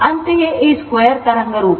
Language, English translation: Kannada, Similarly, this square wave form